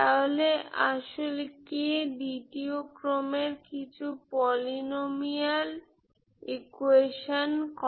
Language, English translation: Bengali, so actually k satisfy some polynomial equation of second order